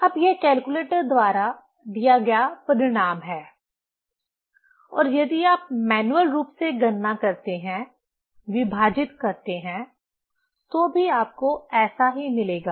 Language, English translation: Hindi, Now, this is the result given by the calculator or manually if you calculate, divide, also you will get like this